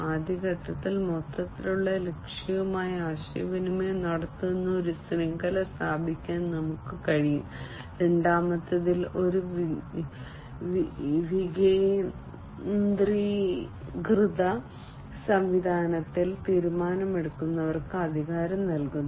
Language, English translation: Malayalam, In the first step, we can establish a network which communicates with the overall target, and in the second, providing authority to decision makers in a decentralized system